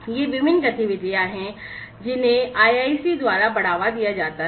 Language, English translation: Hindi, So, these are the ones these are the different activities that are promoted by the IIC